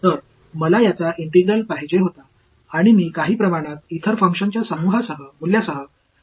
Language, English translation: Marathi, So, I wanted the integral of this guy and I am somehow left with the value of some other function only ok